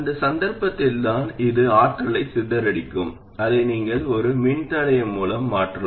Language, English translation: Tamil, It's only in that case that this will be dissipating power and you can replace it with a resistor